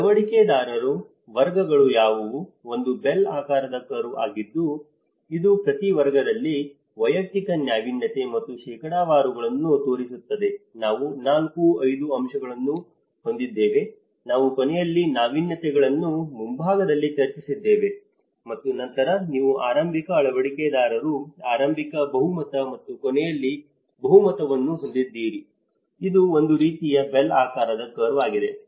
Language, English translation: Kannada, So, what are the adopter categories, this is a bell shaped curve which shows the individual innovativeness and percentages in each category, there has 4, 5 aspects as we discussed the laggards at the end the innovators on the front and then you have the early adopters, early majority and the late majority so, this is a kind of bell shaped curve